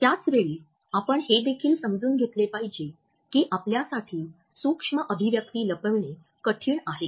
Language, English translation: Marathi, At the same time we have to understand that it is rather tough for us to conceal the micro expressions